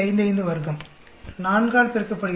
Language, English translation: Tamil, 55 square multiply by 4